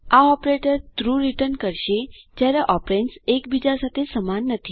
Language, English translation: Gujarati, This operator returns true when the operands are not equal to one another